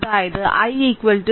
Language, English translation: Malayalam, Then i will be 0